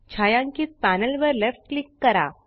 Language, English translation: Marathi, Left click the shaded panel